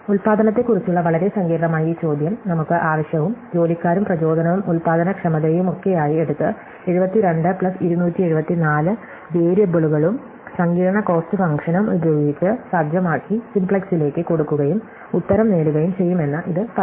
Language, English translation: Malayalam, So, this says that we can take this fairly complicated looking question about production with the demand and hiring and inspiring and productivity and all that and set it out with some 72 plus 274 variables and a complex cost function and feed it to simplex and get an answer